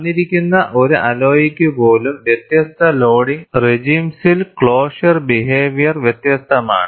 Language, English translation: Malayalam, Even for a given alloy, the closure behavior is different in different loading regimes